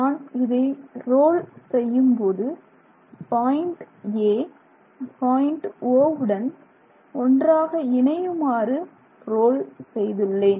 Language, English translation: Tamil, So, we roll such that point A coincides with point O